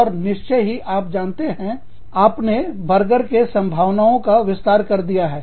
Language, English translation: Hindi, And, of course, you know, you just widening the scope, of your burger